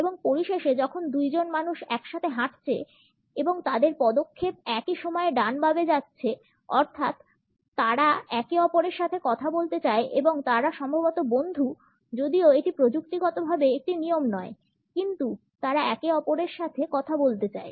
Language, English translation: Bengali, And finally, when two people are walking together and their steps are matched going right left, right left at the same time; they want to talk to each other and they are probably friends although that is not technically a rule, but they want to talk to each other